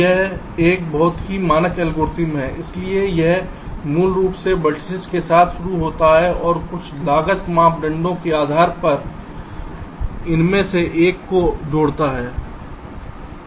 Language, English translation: Hindi, this is a very standard algorithm, so so it basically starts with one vertex and adds one of the edges, depending on some cost criteria, so it finds out which one is the lowest cost